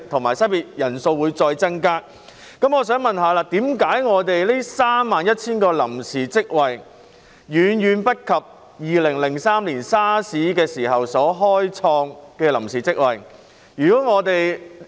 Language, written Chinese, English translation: Cantonese, 我的補充質詢是：為甚麼當局只開設31000個臨時職位，數目遠遠不及2003年 SARS 時所開設的臨時職位數目？, My supplementary question is Why did the authorities create only 31 000 temporary jobs which is far lower than the number of temporary jobs created during the SARS epidemic in 2003?